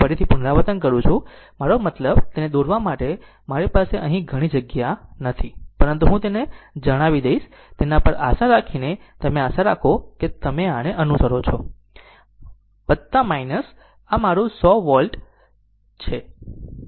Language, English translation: Gujarati, I repeat again; I mean, I do not have much space here for drawing it; but, just let me tell you, making at on it hope, you will hope you will follow this this is plus minus; this is my 100 volt, right